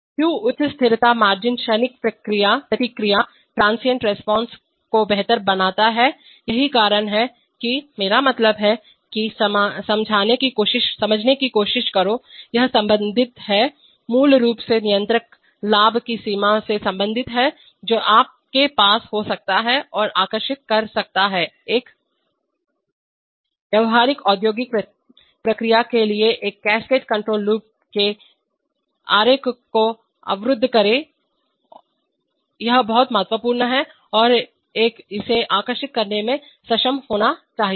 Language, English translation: Hindi, Why higher stability margin leads to improve transient response, that is, why, I mean, that try to explain, it is related to the, basically related to the range of controller gains that you can have and draw the block diagram of a cascade control loop for a practical industrial process, this is very important and one should be able to draw it